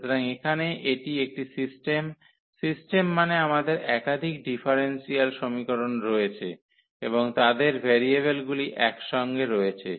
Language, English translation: Bengali, So, here it is a system, system means we have a more than one differential equations and their variables are coupled